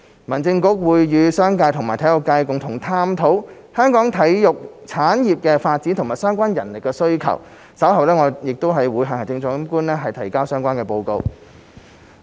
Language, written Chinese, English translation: Cantonese, 民政局會與商界和體育界共同探討香港體育產業的發展及相關人力需求，稍後會向行政長官提交相關報告。, HAB will explore with the business community and the sports sector the development of Hong Kongs sports industry and the related manpower requirements and a report will be submitted to the Chief Executive later